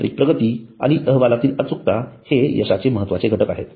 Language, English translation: Marathi, Technological advancement and accuracy in the reports are the key success factors